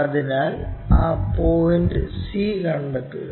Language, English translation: Malayalam, So, locate that c point